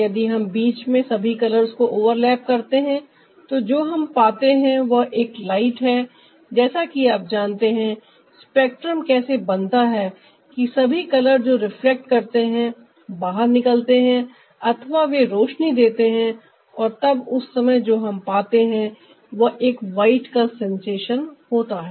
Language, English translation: Hindi, when we overlap all the colors in the middle, what we get is the ah light, which is, like you know, this spectrum is formed that all colors, when they are reflecting, they are getting released or ah, they are emitting